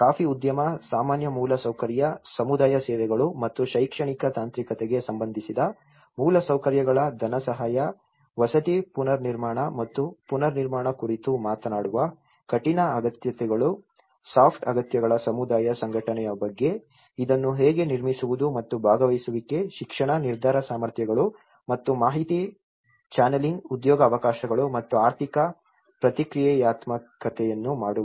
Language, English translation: Kannada, The hard needs, which talks about the funding, housing reconstruction and reconstruction of infrastructure related to coffee industry, general infrastructure, community services and educational technical whereas, here it talks about the soft needs community organization how to build this and participation, education, decision making capacities and information channelling, employment opportunities and economic reactive